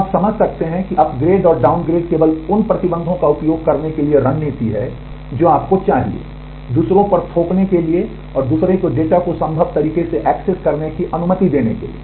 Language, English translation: Hindi, So, you can understand that upgrade and downgrade are strategies to only use that much of restriction that you need, to impose on others and to allow others to access the data to the based possible way